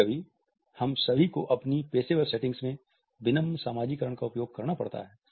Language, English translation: Hindi, Sometimes all of us have to use polite socialize in our professional settings